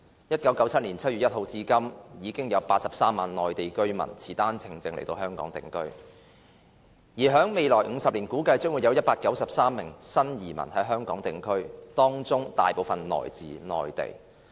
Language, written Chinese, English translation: Cantonese, 1997年7月1日至今，已有83萬內地居民持單程證來港定居，而在未來50年估計將有193萬名新移民在港定居，當中大部分來自內地。, Since 1 July 1997 a total of 830 000 Mainland residents have come to settle in Hong Kong on OWPs . It is estimated that 1.93 million new immigrants will settle in Hong Kong in the next five decades with most of them coming from the Mainland